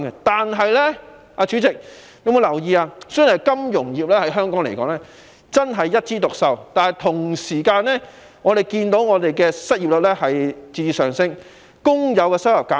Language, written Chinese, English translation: Cantonese, 代理主席，雖然金融業在香港一枝獨秀，但我們同時亦看到失業率在節節上升，工友收入減少。, Deputy President even though the financial sector in Hong Kong is thriving we also noticed that unemployment rate is steadily rising and the income of workers has decreased